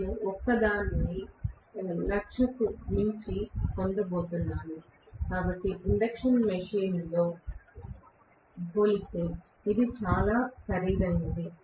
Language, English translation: Telugu, I am going to get it only for more than 1 lakh rupees, so it is very costly compared to the induction machine